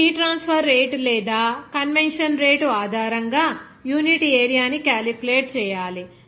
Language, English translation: Telugu, Now, how to calculate that heat transfer rate or unit area based on the convection rate